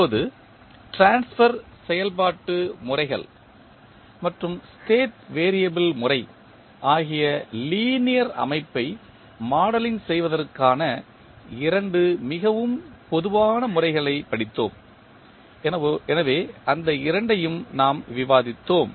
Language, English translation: Tamil, Now, we have studied two most common methods of modeling the linear system that were transfer function methods and the state variable method, so these two we have discussed